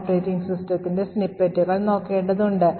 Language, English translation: Malayalam, we have to look at snippets of the operating system